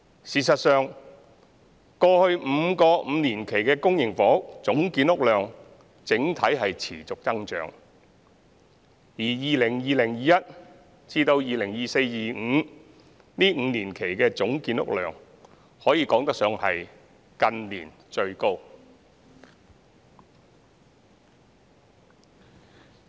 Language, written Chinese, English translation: Cantonese, 事實上，過去5個5年期的公營房屋總建屋量整體見持續增長，而 2020-2021 年度至 2024-2025 年度這5年期的總建屋量可以說是近年最高。, In fact there has been an overall trend of steady increase in the total public housing production for the previous five five - year periods and the total housing production for the five - year period from 2020 - 2021 to 2024 - 2025 has been the highest in recent years